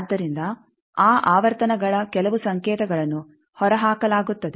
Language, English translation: Kannada, So, that some of the signals of those frequencies are ejected